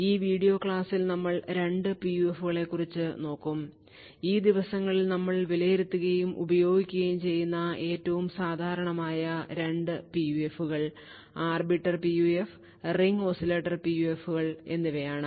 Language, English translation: Malayalam, So, in this video lecture we will actually look at two PUFs; these are the 2 most common PUFs which are evaluated and used these days, So, this is the Arbiter PUF and something known as the Ring Oscillator PUF